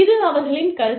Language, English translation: Tamil, This is, their perception